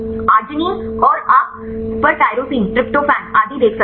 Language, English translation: Hindi, arginine and you can see the tyrosine, tryptophan and so on right